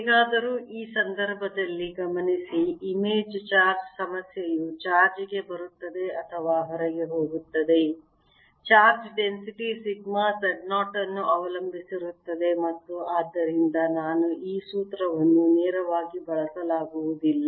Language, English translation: Kannada, however, notice, in this case, the image charge problem: as charge comes in or goes out, the charge density sigma depends on z zero and therefore i cannot use this formula directly